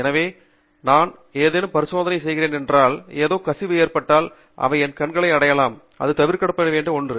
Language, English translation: Tamil, So, if I am doing any experiment, if something spills, there is fair chance that it can reach my eyes and that is something that we need to avoid